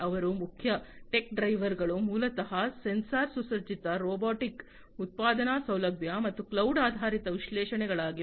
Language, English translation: Kannada, So, their main tech drivers are basically the sensor equipped robotic manufacturing facility and cloud based analytics